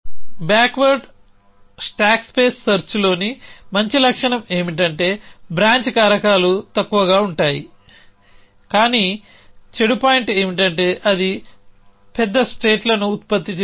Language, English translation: Telugu, The good feature about backward stack space search is that branching factors is a low, but the bad point is that it produces the poorest states